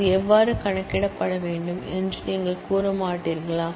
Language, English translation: Tamil, You will do not say how that needs to be computed